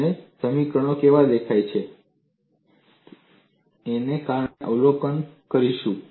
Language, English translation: Gujarati, And we would observe how the equations look like